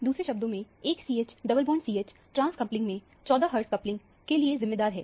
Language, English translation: Hindi, In other words, a CH double bond CH in the trans coupling is what is responsible for the 14 hertz coupling